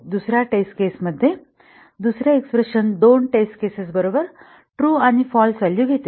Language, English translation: Marathi, In the second test case, the second expression with the two test cases is also taking the values true and false